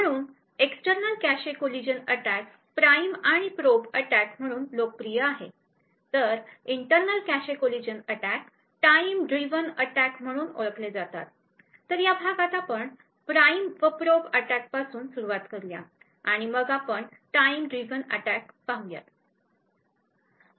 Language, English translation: Marathi, So external cache collision attacks are popularly known as prime and probe attacks, while internal collision attacks are known as time driven attacks, so in this lecture we will first start with a prime and probe attack and then we will look at time driven attack